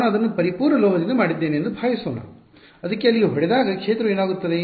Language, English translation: Kannada, Supposing I made it out of perfect metal so, what will happen to a field when it hits there